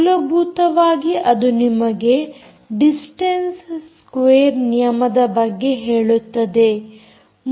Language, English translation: Kannada, basically it is telling you about the distance square law